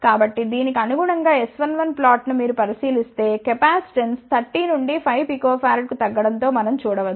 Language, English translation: Telugu, So, corresponding to this if you look at the S 1 1 plot, we can see that as the capacitance decrease from 30 to 5 picofarad